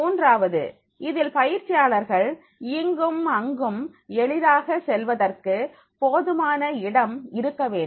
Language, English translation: Tamil, Third is, it has sufficient space for the trainees to move easily around in of around in